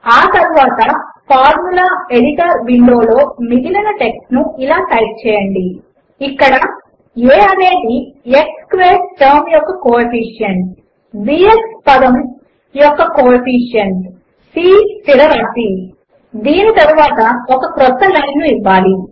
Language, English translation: Telugu, Next let us type the rest of the text as follows in the Formula Editor window: Where a is the coefficient of the x squared term, b is the coefficient of the x term, c is the constant